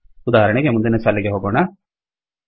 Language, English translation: Kannada, For example, lets go to the next line